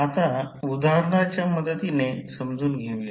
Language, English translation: Marathi, Now, let us understand with the help of the example